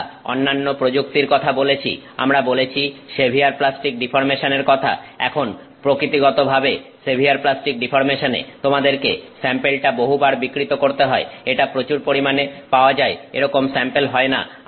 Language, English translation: Bengali, We spoke of other techniques, we spoke of severe plastic deformation, now severe plastic deformation by nature of the fact that you have to deform that sample in multiple times, it is not a sample that can be large scale